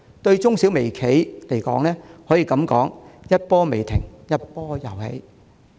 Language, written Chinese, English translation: Cantonese, 對中小微企而言，這可謂一波未平、一波又起。, For micro small and medium enterprises there seems to be no end to their ordeals